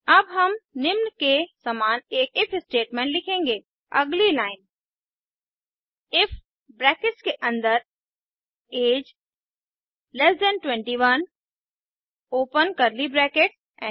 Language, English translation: Hindi, Now, we will write an If statement as follows: Next line if within bracket age 21 open curly brackets